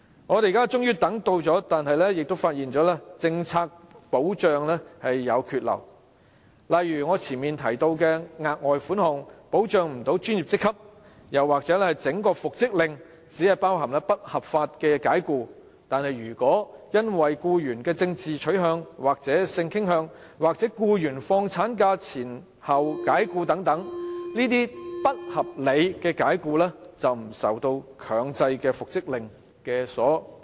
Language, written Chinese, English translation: Cantonese, 我們現在終等到了，但亦發現僱傭保障政策有缺漏，例如我前述的額外款項不能保障專業職級，又或復職令只包含不合法解僱，但如果僱員因為政治取向和性傾向被解僱，或在放取產假前後被解僱等，則這些不合理解僱均不受強制復職令所保障。, Now we finally have the right to reinstatement yet we find that there are inadequacies and omissions in employment protection policies . For instance as I mentioned earlier the further sum fails to protect employees in professional ranks and the reinstatement order only covers unlawful dismissals . If an employee is dismissed for his political or sexual orientation or in the period before or after taking maternity leave such unreasonable dismissals are not under the protection of the compulsory reinstatement order